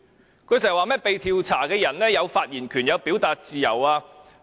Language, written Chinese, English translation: Cantonese, 他經常說，被調查的人有發言權和表達自由。, He often says that the subject of inquiry has the right to speak and freedom of expression